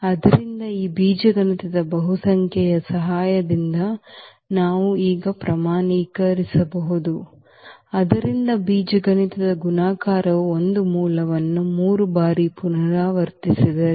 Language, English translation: Kannada, So, that we can now quantify with the help of this algebraic multiplicity; so, algebraic multiplicity if for instance one root is repeated 3 times